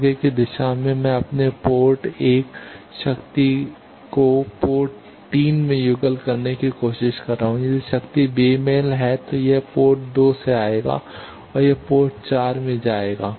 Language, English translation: Hindi, In forward direction I am trying to couple my port 1 power to port 3, if the power is mismatched it will come from port 2 it will come to port 4